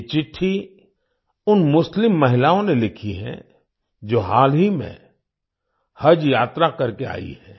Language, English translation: Hindi, These letters have been written by those Muslim women who have recently come from Haj pilgrimage